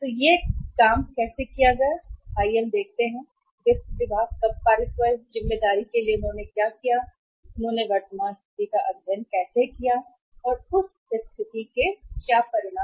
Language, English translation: Hindi, So how that was worked out and let us see that when the finance department was means passed on this responsibility what they did and how they studied the present situation and what is the outcome of that situation